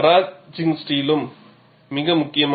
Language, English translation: Tamil, Maraging steel is also very important